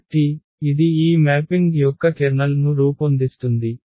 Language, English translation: Telugu, So, this will form the kernel of this mapping